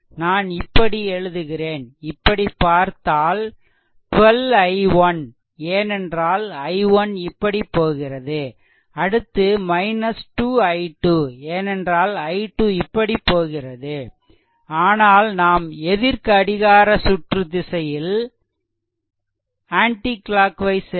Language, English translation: Tamil, So, it will be look into that it will be 12 i 1, because i 1 is flowing like this 12 i 1, then it will be minus 2 i, 2 because i 2 is moving like this, but we are moving anticlockwise